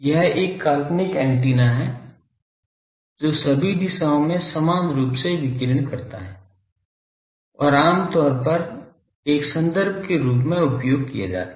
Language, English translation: Hindi, It is a fictitious antenna sorry that radiates uniformly in all directions and is commonly used as a reference